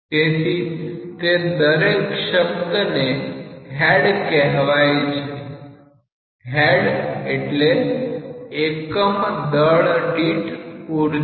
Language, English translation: Gujarati, So, that is a term given as head is energy per unit weight